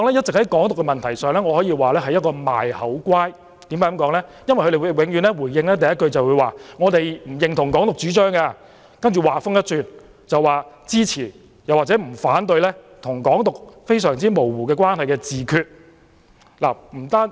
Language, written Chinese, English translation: Cantonese, 在"港獨"的問題上，泛民政黨一直在"賣口乖"，他們回應的第一句永遠是不認同"港獨"主張，接着話鋒一轉，說支持或不反對與"港獨"關係非常模糊的"自決"。, On the issue of Hong Kong independence pan - democratic parties have been paying lip service . The first sentence in their response is invariably that they do not endorse the advocacy of Hong Kong independence but then they abruptly change the topic saying that they support or do not oppose self - determination which is vaguely associated with Hong Kong independence